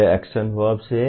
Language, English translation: Hindi, These are the action verbs